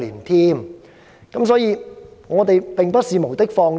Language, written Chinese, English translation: Cantonese, 由此可見，我們並不是無的放矢。, It can thus be seen that we are not making unsubstantiated accusations